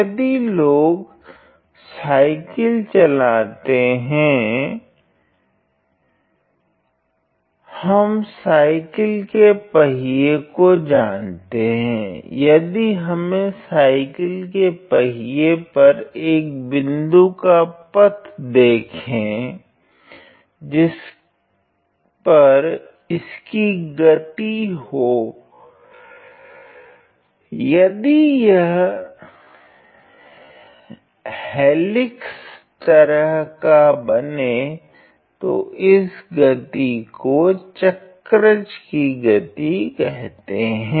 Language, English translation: Hindi, If people who drive cycles who drive cycles we know that the tyre of a cycle, if we were to track a point on the tyre of a cycle it is going to; if it is going to go ahead in a helical fashion and that is the motion of the cycloid